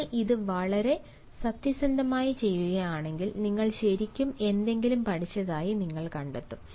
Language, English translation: Malayalam, if you do it very honestly, you will find that you have really learned something and you have ensured a proper listening